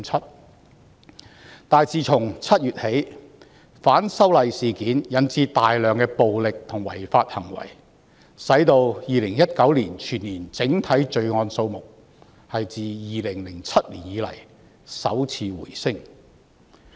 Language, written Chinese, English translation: Cantonese, 然而，自7月起，反修例事件引致大量暴力和違法行為，令2019年全年整體罪案數目自2007年以來首次回升。, However since July activities relating to the opposition to the proposed legislative amendments have given rise to numerous violent and illegal acts thereby resulting in an increase in the overall number of crimes in 2019 for the first time since 2007